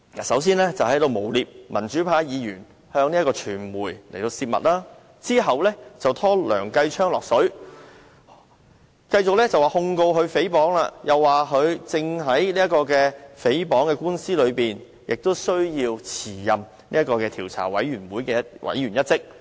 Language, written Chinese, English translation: Cantonese, 首先是誣衊民主派議員向傳媒泄密，然後又把梁繼昌議員拉扯進來，繼控告他誹謗後，又指他正面對誹謗官司，須辭任專責委員會委員一職。, Firstly he accused pro - democracy Members for leaking confidential information to the media . Then he tried to drag Mr Kenneth LEUNG into the controversy firstly by suing Mr Kenneth LEUNG for libel and then by demanding his withdrawal from the Select Committee given his involvement in the libel lawsuit